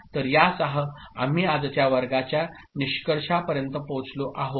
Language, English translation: Marathi, So, with this we come to the conclusion of today’s class